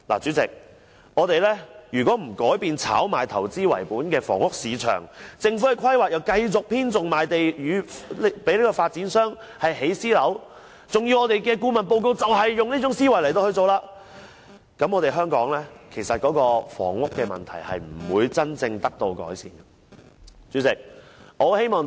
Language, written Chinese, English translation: Cantonese, 主席，如果我們不改變炒賣投資為本的房屋市場，政府的規劃亦繼續偏重賣地給發展商建設私人樓宇，而我們的顧問報告亦是採用這種思維，那麼香港的房屋問題是不會得到真正的改善。, Chairman if we do not revamp the speculative investment - based housing market if Government planning continues to biased towards land sale to developers for the construction of private housing while our consultancy report also adopts this mindset then the housing problem in Hong Kong can never be genuinely improved